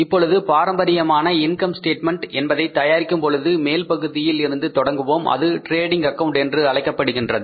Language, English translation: Tamil, Now when we prepare the traditional income statement then we start the upper part from the upper part that is called as trading account because the income statement has two parts